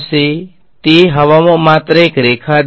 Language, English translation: Gujarati, I just drew a line in air